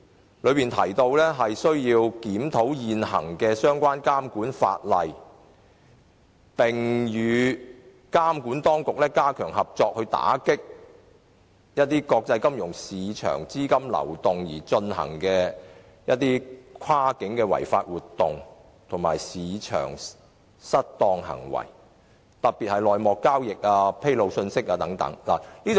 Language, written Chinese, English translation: Cantonese, 他的修正案提到，"政府亦應檢討現行相關監管法例，並與內地監管當局加強合作，打擊任何透過兩地及國際金融市場資金流動而進行的跨境違法活動及市場失當行為，特別是內幕交易及披露信息的監管"。, As mentioned in his amendment the Government should also review the existing relevant regulatory legislation strengthen co - operation with the Mainland regulatory authorities to combat any cross - boundary illegal activities and market misconduct carried out through the flow of funds between the two places and in the international financial market especially in respect of the regulation of insider dealings and disclosure of information